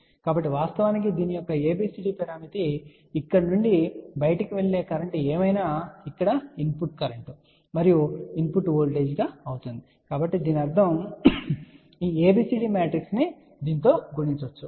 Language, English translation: Telugu, So, we can actually say that ABCD parameter of this whatever is the current going out from here will become input current and input voltages over here so that means, this ABCD matrix can be multiplied with this